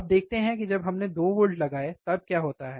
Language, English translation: Hindi, Now, let us see when we applied 2 volts, what happens